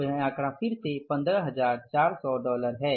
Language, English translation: Hindi, So this figure is again dollar, 15,400s